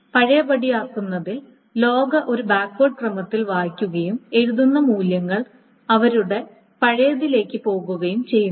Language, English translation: Malayalam, So in the undo, the log is read in a backward order and the right values are going to their old ones